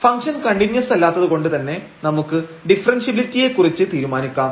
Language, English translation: Malayalam, Hence, this function is not continuous at origin and since the function is not continuous we can decide about the differentiability